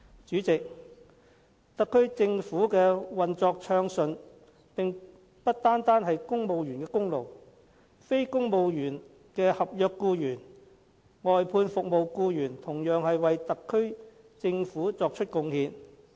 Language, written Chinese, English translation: Cantonese, 主席，特區政府的運作暢順不單是公務員的功勞，非公務員的合約僱員、外判服務僱員同樣為特區政府作出貢獻。, President the smooth operation of the Special Administrative Region SAR Government is not the sole effort of civil servants . Non - Civil Service Contract NCSC and outsourced services employees have also made contribution to the SAR Government